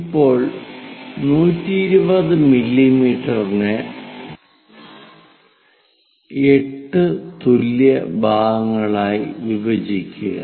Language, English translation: Malayalam, Now, line 120 mm that we are going to divide into 8 equal parts